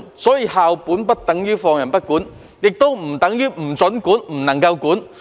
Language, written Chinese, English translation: Cantonese, 因此，校本不等於放任不管，亦不等於不准管或不能管。, Thus school - based does not mean regulation - free or regulation is not allowed or permissible